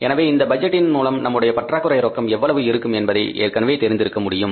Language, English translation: Tamil, So we know it already from the budget that how much is going to be our shortfall